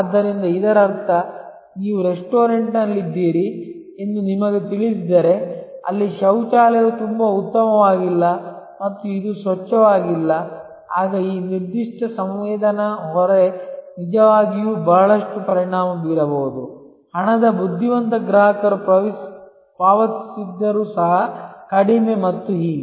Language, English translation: Kannada, So; that means, if you know you are in a restaurant, where there is the toilet is not very good and this is not clean, then that this particular a sensory burden can actually affect a lot, even though the money wise the customer may be paying less and so on